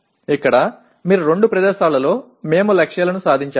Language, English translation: Telugu, Here you have in two places we have attained the targets